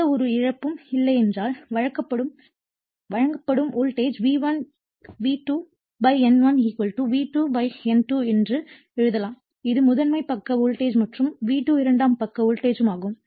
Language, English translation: Tamil, And if there is no loss we assume there is no loss then we can write that your turn supplied voltage that is V1, V1 / N1 = V2 / N2 this is primary side voltage and V2 is the secondary side voltage